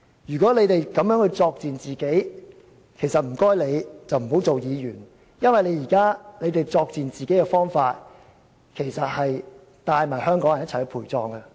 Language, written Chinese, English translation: Cantonese, 如果他們要如此作賤自己，請他們不要當議員，因為他們現在作賤自己的方式，其實會帶同香港人一起陪葬。, If they wish to degrade themselves in this way will they please quit as Members because the way they are degrading themselves now will in fact take Hongkongers down with them